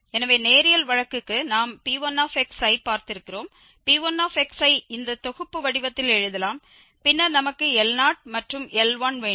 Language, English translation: Tamil, So, for the linear case we have seen that the P 1 x can be written in this summation format and then we have L 0 and the L 1 written in this form